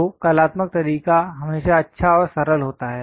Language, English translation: Hindi, So, the artistic way always be nice and simple